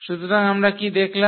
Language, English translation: Bengali, So, what we have observed